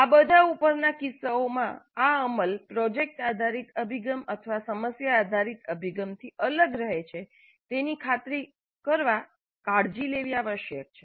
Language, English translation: Gujarati, In all of these above cases care must be taken to ensure that this implementation remains distinct from product based approach or problem based approach